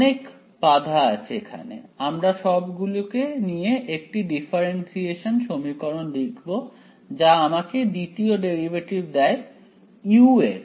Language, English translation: Bengali, Lots of constraints are there, we will absorb all of those into this differential equation, which tells me that second derivative of u